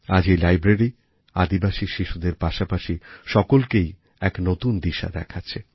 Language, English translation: Bengali, Today this library is a beacon guiding tribal children on a new path